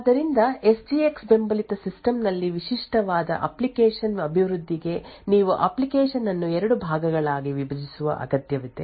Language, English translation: Kannada, So a typical application development on a system which has SGX supported would require that you actually split the application into two parts